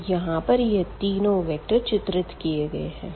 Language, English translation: Hindi, So, we have these 4 4 vectors and 3 vectors